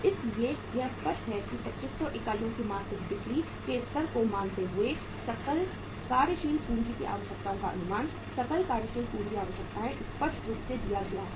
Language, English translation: Hindi, That is why it is clearly written assuming the monthly sales level of 2500 units, estimate the gross working capital requirements, gross working capital requirements is clearly given